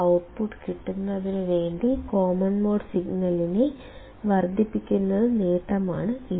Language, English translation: Malayalam, The gain with which it amplifies is the common mode signal to produce the output